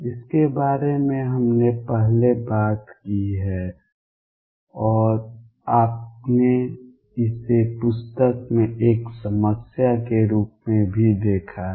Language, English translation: Hindi, This we have talked about earlier and you have also seen this as a problem in the book